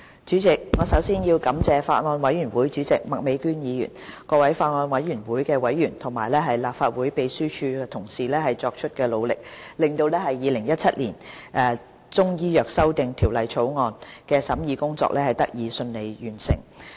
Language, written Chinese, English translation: Cantonese, 主席，我首先要感謝法案委員會主席麥美娟議員、法案委員會各委員和立法會秘書處同事作出的努力，令《2017年中醫藥條例草案》的審議工作得以順利完成。, President first of all I have to thank Ms Alice MAK Chairman of the Bills Committee members of the Bills Committee and colleagues in the Legislative Council Secretariat for their effort in enabling the smooth completion of the scrutiny of the Chinese Medicine Amendment Bill 2017 the Bill